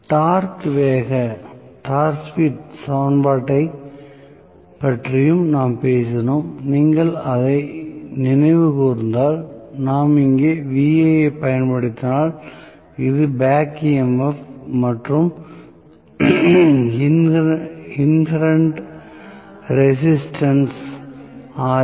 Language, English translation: Tamil, We also talked about the Torque Speed Equation, if you may recall, we said, if we area applying Va here, this is the back EMF and inherent resistances Ra